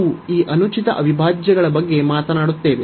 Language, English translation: Kannada, And we will be talking about this improper integrals